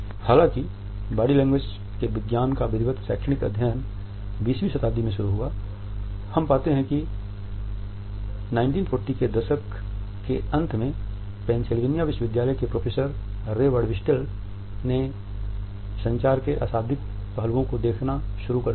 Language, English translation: Hindi, We find that it was in the 1940s rather late 1940s that at the university of Pennsylvania professor Ray Birdwhistell is started looking at the nonverbal aspects of communication